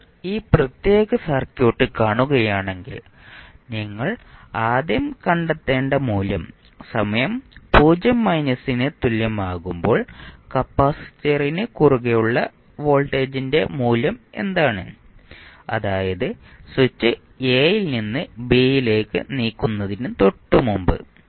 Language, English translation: Malayalam, Now, if you see this particular circuit, the value which you need to first find out is what is the value of the voltage across capacitor at time is equal to 0 minus means just before the switch was thrown from a to b